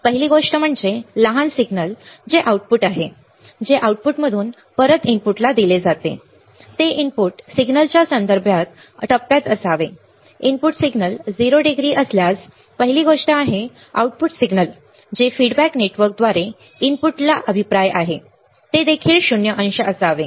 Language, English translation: Marathi, The first one is that the small signal which is the output which is fed from the output back to the input, should be in phase with respect to the input signal right that is first thing that is the if the input signal is 0 degree, the output signal which is feedback to the input through the feedback network should also be at 0 degree